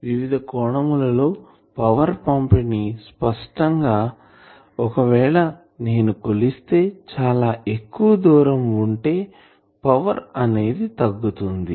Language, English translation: Telugu, Angular power distribution obviously, if I measure at a further away distance the power will be reduced